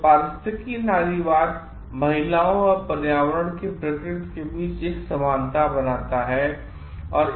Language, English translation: Hindi, So, ecofeminism draws a analogy between women and the nature of environment